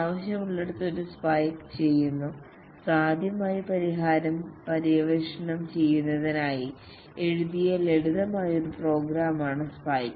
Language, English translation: Malayalam, Wherever required, a spike is done, a spike is a simple program that is written to explore potential solution